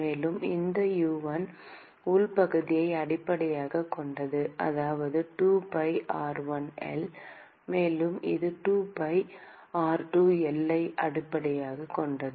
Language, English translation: Tamil, And, so, this U1 is based on the inside area that is 2pi r1 L; and this is based on based on 2pi r2 L